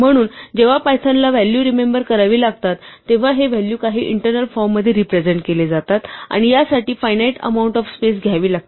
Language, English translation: Marathi, So, when python has to remember values it has to represent this value in some internal form and this has to take a finite amount of space